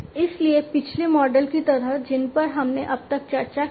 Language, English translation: Hindi, So, like the previous models that we have discussed so far